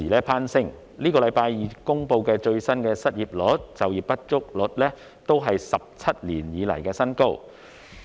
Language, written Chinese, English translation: Cantonese, 本星期二公布的最新失業率和就業不足率都是17年以來的新高。, The latest unemployment rate and underemployment rate announced this Tuesday are both at 17 - year highs